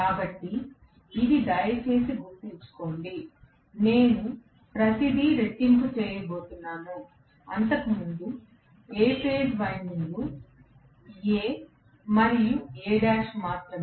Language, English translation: Telugu, So, this please remember, I am going to have everything doubled, A phase winding was only A, and A dash earlier